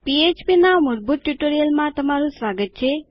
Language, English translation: Gujarati, Welcome to this basic php Spoken Tutorial